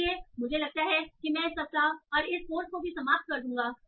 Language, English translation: Hindi, So I think with that I will end this week and also this course